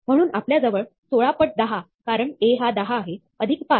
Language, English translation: Marathi, So, we have 16 times 10, because the A is 10, plus 5